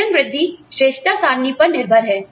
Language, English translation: Hindi, Pay raises are dependent on, merit charts